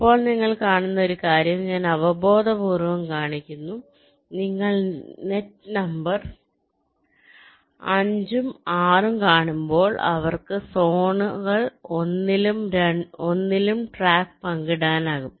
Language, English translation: Malayalam, now one thing you see, just just intuitively i am showing, when you see net number five and six, they can share a track across zones one and two because they don't have anything in common